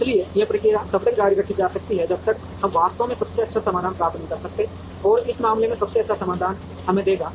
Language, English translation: Hindi, So, this process can be continued till we actually get the best solution, and in this case the best solution would give us